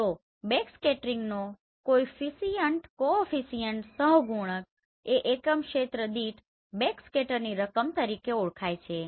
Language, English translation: Gujarati, So backscattering coefficient is defined as the amount of backscatter per unit area right